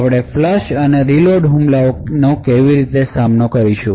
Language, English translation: Gujarati, So how we would actually counter this flush and reload attack